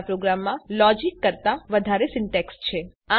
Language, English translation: Gujarati, There is more syntax than logic in our program